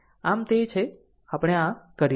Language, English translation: Gujarati, So, this is this is how we do it